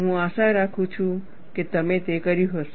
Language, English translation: Gujarati, I hope you have done that